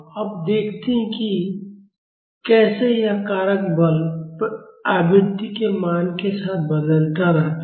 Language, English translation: Hindi, Now let us see how this factor is varying with the value of the forcing frequency